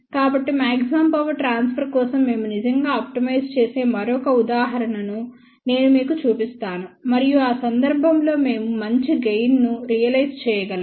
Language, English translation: Telugu, So, I will just show you another example where we actually optimize for maximum power transfer and in that case, we can realize a better gain